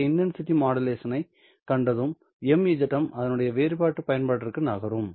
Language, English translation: Tamil, Having seen this intensity modulation, let us move on to a different application of MZM